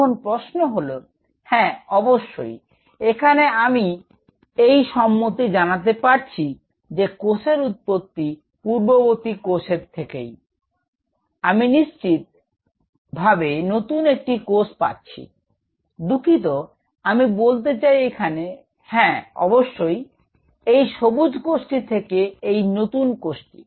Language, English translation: Bengali, Now the question is yes indeed what here when I am drawing that yes from the pre existing cell, I am getting another cell sure, sorry, I mean out here; out here, yeah definitely, from cell this green one, this is the new cell